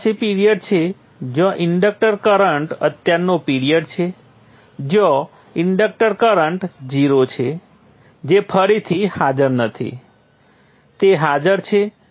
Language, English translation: Gujarati, You have a period where the inductor current is present, period where the inductor current is zero, not present